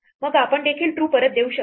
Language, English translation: Marathi, Then we can also return true